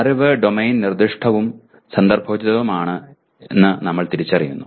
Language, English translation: Malayalam, And we also recognize knowledge is domain specific and contextualized